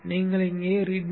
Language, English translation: Tamil, So open that readme